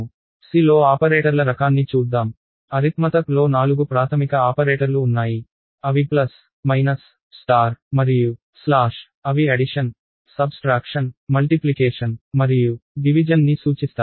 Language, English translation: Telugu, Let us look at the kind of operators in C, there are four basic operators for arithmetic namely, plus, minus, star and slash, they stand for addition, subtraction, multiplication and division respectively